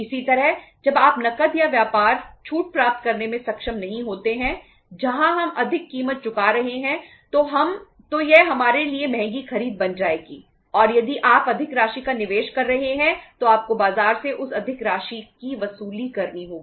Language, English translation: Hindi, Similarly, when you are not able to get the cash or trade discounts we are where we are ending up paying more price, more it will become expensive purchase for us and you are if you are investing more amount you have to recover that more amount from the market